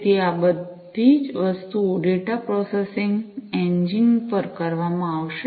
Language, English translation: Gujarati, So, all of these things are going to be done at the data processing engine